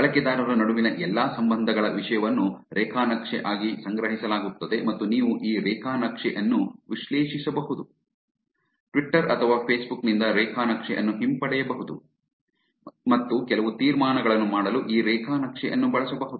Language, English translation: Kannada, The content for all the relationship between the users are stored as a graph and you can analyze those graph, also retrieving the graph from twitter or facebook and use these graph to make some inferences